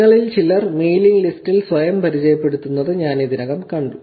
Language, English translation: Malayalam, So, I already saw some of you introducing itself on the mailing list